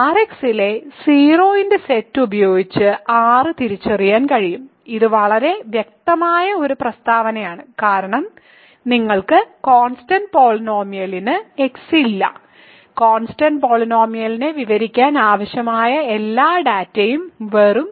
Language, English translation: Malayalam, So, R can be identified with the set of a 0 in R[x], this is a very obvious statement because you a constant polynomial has no x in it all the data that is required to describe a constant polynomial is just a 0